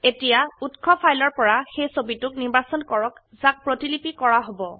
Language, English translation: Assamese, Now select the image from the source file which is to be copied